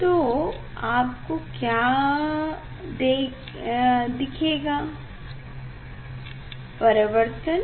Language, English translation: Hindi, now, what will see the reflection